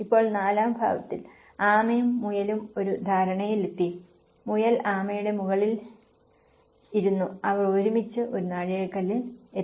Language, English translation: Malayalam, Now, in fourth aspect tortoise and hare came to an understanding, the hare sat on the tortoise and they reached a milestone together